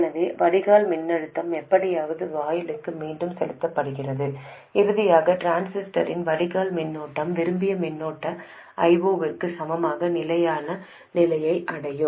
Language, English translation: Tamil, So, the drain voltage is somehow fed back to the gate and finally steady state is reached where the drain current of the transistor equals the desired current I 0